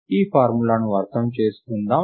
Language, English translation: Telugu, Lets just understand this formula